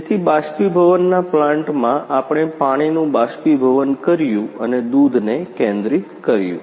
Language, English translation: Gujarati, So, in evaporation plant we evaporated water and concentrate milk